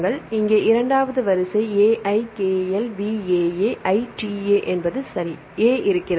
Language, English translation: Tamil, So, here is a second sequence AIKLVAAITA right